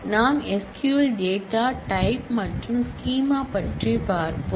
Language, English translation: Tamil, Let us move on and look at the SQL data types and schemas